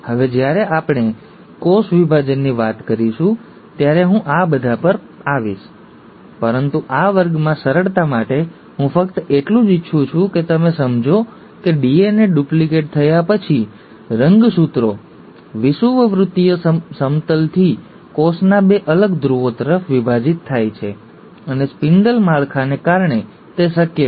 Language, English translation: Gujarati, Now I’ll come to all this when we talk about cell division, but for simplicity in this class, I just want you to understand that after the DNA has duplicated, the chromosomes divide from the equatorial plane towards the two separate poles of the cell, and it is possible because of the spindle structure